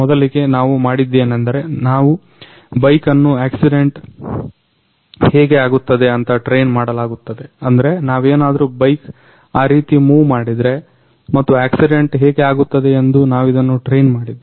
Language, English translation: Kannada, Initially what we did, is we trained the bike about how the accident happens means if we move the bike like that and we trained it how the accident happens